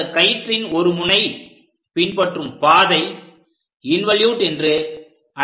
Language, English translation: Tamil, And the curved track by one of the end of this rope is called involutes